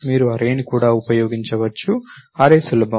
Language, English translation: Telugu, You can also use an array, array is easier